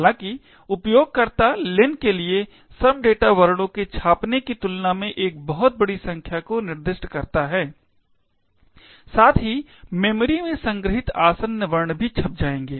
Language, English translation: Hindi, However, the user specifies a very large number for len than these some data characters would get printed as well as the adjacent characters stored in the memory would also get printed